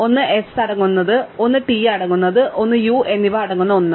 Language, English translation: Malayalam, One contains s, one containing t, and one containing u